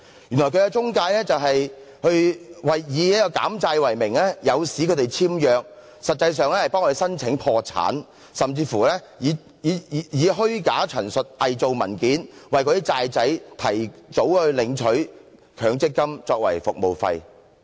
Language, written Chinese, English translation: Cantonese, 原來這些公司是以減債為名，誘使他們簽約，實際上是替他們申請破產，甚至以虛假陳述，偽造文件，為"債仔"提早領取強積金作為服務費。, It is found that these companies under the pretext of debt reduction lured people into signing an agreement but in fact they filed bankruptcy on the borrowers behalf and even withdrew the Mandatory Provident Fund MPF benefits early for the borrowers as their service charges by making false statements and forged documents